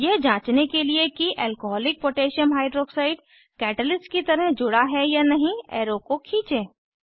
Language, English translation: Hindi, Drag arrow to check if Alcoholic Potassium Hydroxide (Alc.KOH) attaches to the arrow, as a catalyst